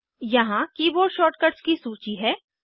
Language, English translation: Hindi, Here is the list of keyboard shortcuts